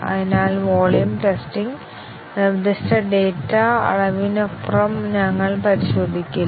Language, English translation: Malayalam, So, volume testing; we do not test beyond what is specified data volume